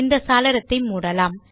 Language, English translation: Tamil, We will close this window